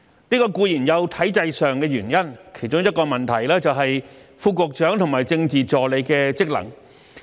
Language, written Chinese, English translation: Cantonese, 這固然有體制上的原因，其中一個問題是，副局長和政治助理的職能。, The reason certainly lies partly in the system itself . One of the problems is the functions of Under Secretary and Political Assistant